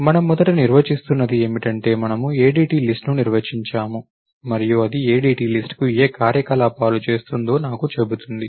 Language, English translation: Telugu, So, what we are first defining is we define an ADT list and this tells me, what operations going to the ADT list